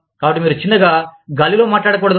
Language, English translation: Telugu, So, you must not talk, in thin air